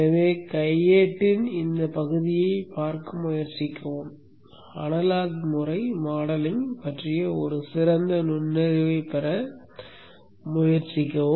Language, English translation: Tamil, So try to go through this part of the manual for you to get much better inside into analog behavioral modeling